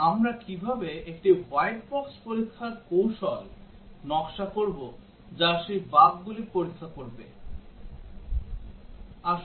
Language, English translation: Bengali, And how do we design a white box test strategy, which will check those bugs